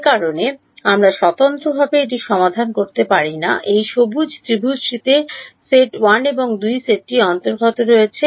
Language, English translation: Bengali, The reason we cannot independently solve it is this green triangle has edges belonging to the set 1 and set 2